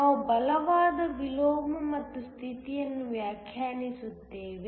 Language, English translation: Kannada, We define a condition called strong inversion